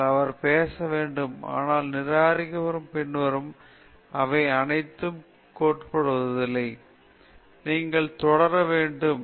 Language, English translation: Tamil, You have to talk to them, but the thing is even after this rejection and all that, they are not giving up; you should continue